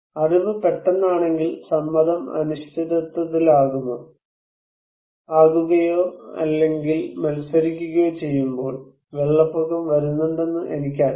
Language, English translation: Malayalam, When knowledge is sudden, but consent is uncertain or contested, it is also difficult that I know flood is coming